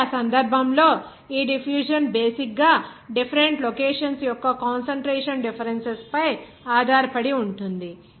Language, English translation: Telugu, So, in that case, this diffusion basically depends on the concentration differences of different location